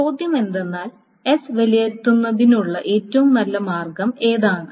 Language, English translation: Malayalam, Now the question is, what is the best way of evaluating S